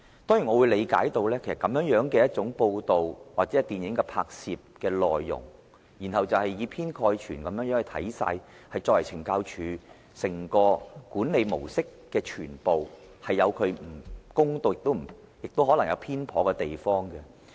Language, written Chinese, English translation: Cantonese, 當然，我理解這種報道或電影拍攝的內容，是以偏概全地看懲教署的整個管理模式，亦可能有不公道、有偏頗的地方。, I certainly understand the content of this kind of report or movie is only an overgeneralization of the entire management model of CSD and thus may possibly be unfair or biased